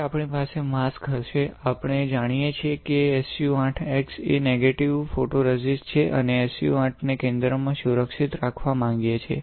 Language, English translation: Gujarati, So, now we will have a mask, we know that SU 8 x is a negative photoresist and we want to protect SU 8 in the center